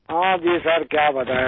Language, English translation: Hindi, Yes sir what to say now